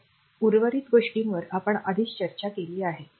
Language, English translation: Marathi, So, rest of thing we have already discussed